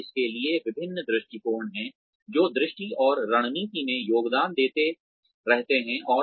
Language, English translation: Hindi, And, there are various perspectives to this, that keep contributing to the vision and strategy